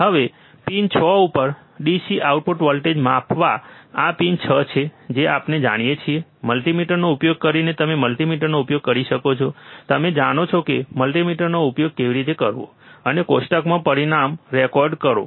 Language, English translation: Gujarati, Now, measure the DC output voltage at pin 6 this is pin 6 we know, right using multimeter you can use multimeter, you know, how to use multimeter now and record the result in table